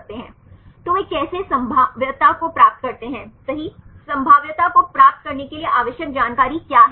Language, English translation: Hindi, So, how they derive the probability right which information required to derive the probability